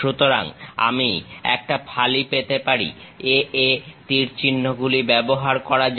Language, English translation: Bengali, So, I can have a slice, let us use arrows A A